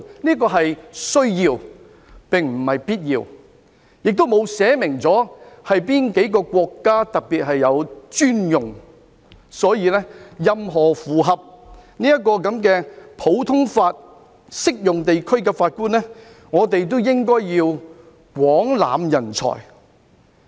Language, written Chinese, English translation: Cantonese, "這條文說的是"需要"，並非必要，條文亦沒有訂明哪幾個國家是特別專用，所以任何符合普通法適用地區的法官，我們都應該廣攬人才。, I must stress that the word used in the Article is may rather than must and the Article does not list out the countries to which it is specifically applicable . As such we should adopt an inclusive approach toward appointing judges from any common law jurisdictions